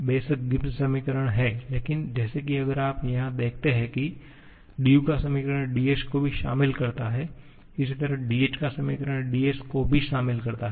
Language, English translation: Hindi, Of course, Gibbs equations are there but that like if you see here the equation for du also incorporates ds